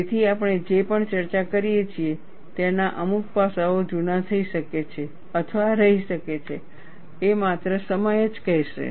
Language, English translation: Gujarati, So, certain aspects of whatever we discuss, may get outdated or may remain; only time will say